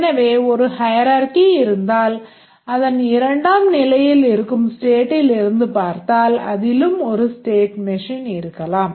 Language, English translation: Tamil, So, there is a hierarchy and if we look at this state in the second level it might also contain a state machine